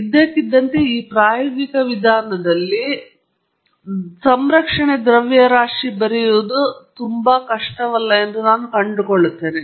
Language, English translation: Kannada, Suddenly, I discover that in this empirical approach, no, no, no it’s conservation mass is not so difficult to write